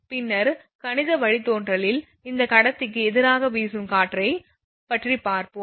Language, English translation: Tamil, Later, we will see for mathematical derivation this wind blowing against conductor